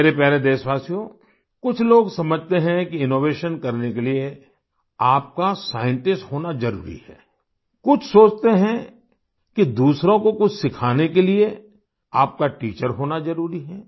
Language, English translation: Hindi, some people think that it is necessary to be a scientist to do innovation and some believe that it is essential to be a teacher to teach something to others